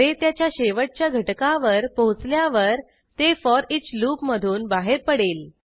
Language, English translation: Marathi, Once the array reaches its last element, it will exit the foreach loop